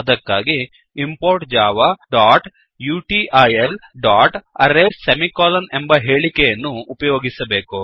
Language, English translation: Kannada, It is done by the statement import java.util.Arrays semicolon